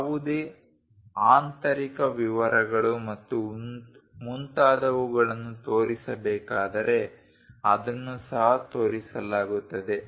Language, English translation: Kannada, If any inner details and so on to be shown that will also be shown